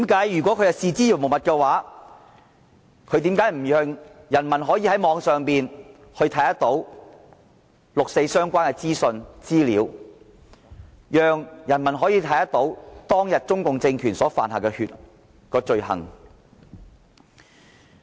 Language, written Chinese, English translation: Cantonese, 如果它視之如無物，為何不讓人民在網上看到與六四相關的資訊和資料，讓人民都可以看到中共政權當天所犯的罪行？, If the CPC regime does not care why does it not allow its people to access online information related to the 4 June incident so that they would not be aware of the atrocities committed by the CPC regime?